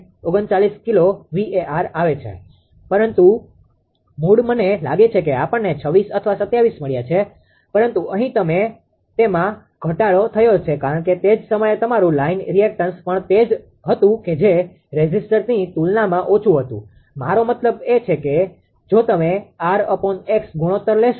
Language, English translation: Gujarati, 39 kilowatt but original one I think we got 26 or 27, but here it was reduced because at the same time your line reactance was also your what you call ah less compared to the resistor; I mean if you take r minus x ratios right